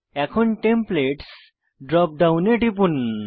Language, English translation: Bengali, Now, click on Templates drop down